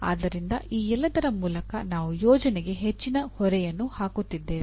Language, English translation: Kannada, So through all this we are bringing lot of load on the project itself